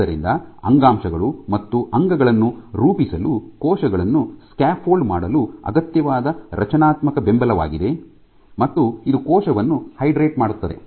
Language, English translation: Kannada, So, it is the structural support which is necessary for cells to be scaffolded to form tissues and organs it hydrates